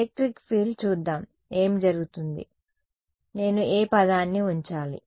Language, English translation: Telugu, Electric field let us see what happens electric field which term should I keep